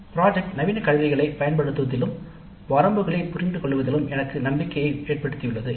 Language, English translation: Tamil, Project work has made me confident in the use of modern tools and also in understanding their limitations